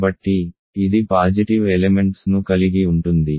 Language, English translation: Telugu, So, it contains positive elements